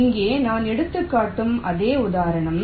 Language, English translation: Tamil, so the same example i take